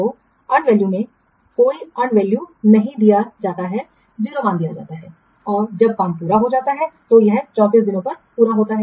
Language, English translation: Hindi, So, and value, the initially no unvalue is given, zero value is given and when the work is completed, this job is completed on 34 days